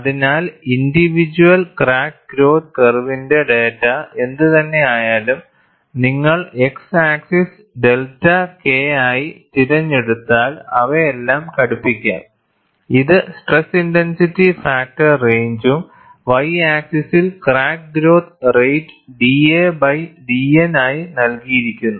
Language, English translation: Malayalam, So, whatever the data of individual crack growth curve, all of them could be fitted, if you choose the x axis as delta K, which is the stress intensity factor range and the y axis as crack growth rate given by d a by d N